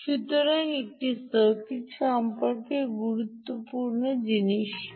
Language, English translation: Bengali, so what is the important thing about this circuit, this c out